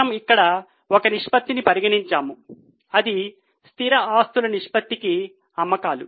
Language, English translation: Telugu, We have just considered one ratio here that is sales to fixed assets ratio